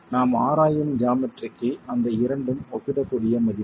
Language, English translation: Tamil, It so happens that for the geometry that we are examining those two are comparable values